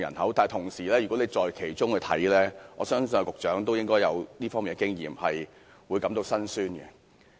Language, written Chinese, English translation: Cantonese, 可是，如果處身其中，難免感到心酸，我相信局長也有這方面的經驗。, Yet if one is there one cannot help feeling sad . I think the Secretary must have experienced that too